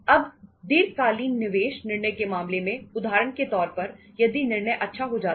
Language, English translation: Hindi, Now, in case of the long term investment decisions if for example decision goes well